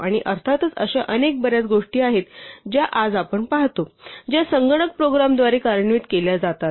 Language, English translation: Marathi, And of course, there are many, many more things that we see day today, which are executed by computer programs